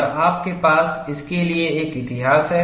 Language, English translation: Hindi, And you have a history for this